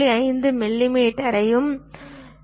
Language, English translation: Tamil, 5 millimeters, 0